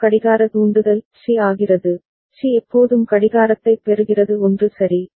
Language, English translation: Tamil, Next clock trigger C becomes, C is always getting the clock all right becomes 1 right